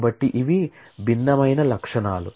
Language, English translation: Telugu, So, these are the different attributes